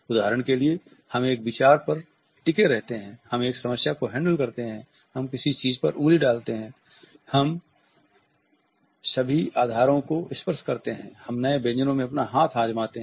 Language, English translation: Hindi, For example we hold on to an idea, we handle a problem, we put a finger on something, we tend to touch all bases, we try our hand maybe at new recipes